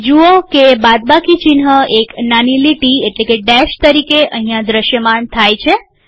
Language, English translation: Gujarati, Notice that the minus sign appears as a small dash here, as a small dash here